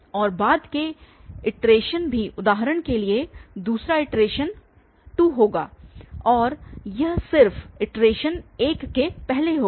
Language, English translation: Hindi, And the later iterations also for example the second iteration this will be 2 and this will be just the iteration before this that is 1